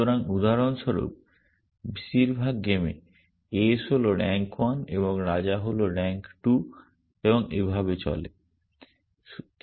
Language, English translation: Bengali, So, in most games for example, ace is rank 1 and king is rank 2 and so on